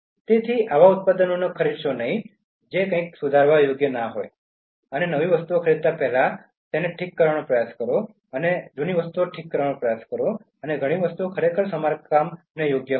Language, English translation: Gujarati, So, don’t buy such products try to buy something which are repairable and try to fix things before buying new ones and many things are actually repairable